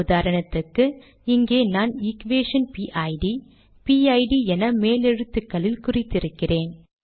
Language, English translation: Tamil, For example, here I have called it equation PID, PID is in capitals